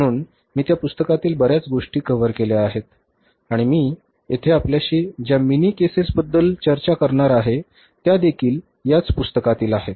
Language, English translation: Marathi, So, I have covered up most of the things from that book and here also these mini cases which I am going to discuss with you, they are also from that book